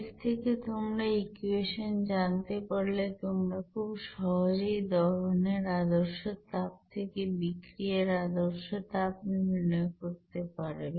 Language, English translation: Bengali, So from this you know equation you can easily calculate what should be the standard heat of reaction from standard heat of combustion there